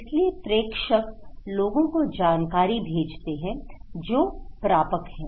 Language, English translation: Hindi, So, senders, they are sending informations to the people, they are the receivers